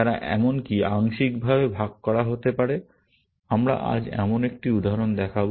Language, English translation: Bengali, They may be even shared partially, as we will see in an example today